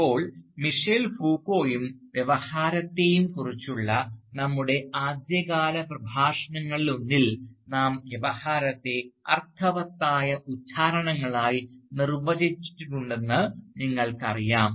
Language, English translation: Malayalam, Now, if you recall our discussion of Michel Foucault and discourse, in one of our early lectures, you will know that we had defined discourse as meaningful utterances